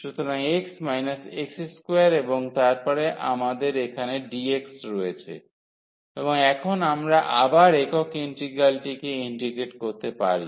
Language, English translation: Bengali, So, x minus x square and then we have dx here and now we can integrate the single integral again